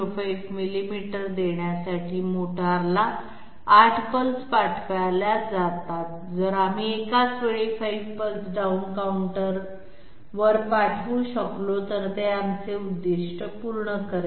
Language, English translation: Marathi, 05 millimeters, if we can send 5 pulses to the position down counter at the same time, it will serve our purpose